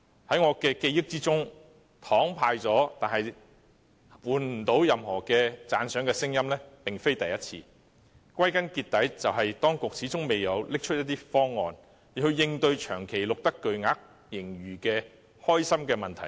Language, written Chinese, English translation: Cantonese, 在我的記憶中，派了"糖"卻換不到任何讚賞聲音並非第一次，歸根究底，只怪當局始終未能拿出方案，應對長期錄得巨額盈餘的開心問題。, In my recollection it is not the first time that the handout of candies could not win any kudos in return . After all the authorities are to blame for failing to come up with a proposal to address the persistent happy problem of recording a huge surplus